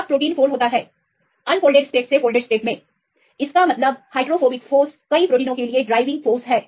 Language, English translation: Hindi, When the protein folds; from the unfolded state to the folded state; that means, hydrophobic force is the driving force for the many proteins